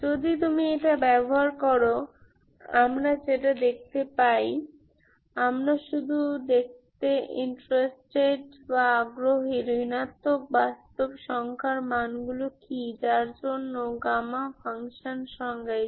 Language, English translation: Bengali, So if you use this what we see is the, we are interested to see what are all the values of real, negative real numbers for which gamma function is defined, Ok